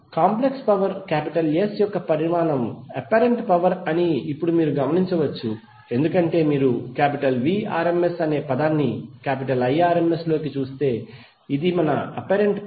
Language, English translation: Telugu, Now you can notice that the magnitude of complex power S is apparent power because if you see this term Vrms into Irms this is our apparent power